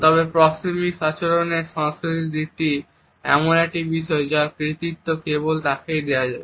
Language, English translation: Bengali, However, the aspect of cultural dimensions of proxemic behavior is something which can be credited only to him